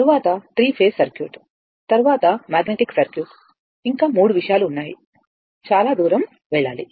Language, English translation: Telugu, Then your 3 phase circuit, then magnetic circuit, then 3 things are there, the long way to go